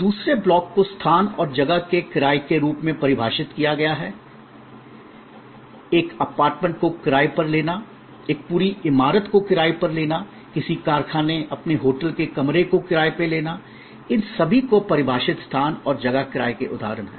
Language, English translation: Hindi, The second block is defined space and place rentals, very easy to understand renting of an apartment, renting of a whole building, renting of a factory, premises or your, renting of your hotel room, all these are examples of defined space and place rentals